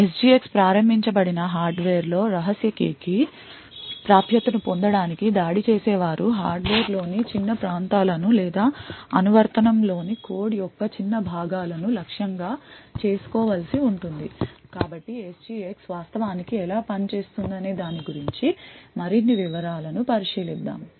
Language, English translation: Telugu, While in the SGX enabled hardware the attacker would have to target small regions in the hardware or small portions of code in the application in order to achieve in order to gain access to the secret key so let us look into more details about how SGX actually works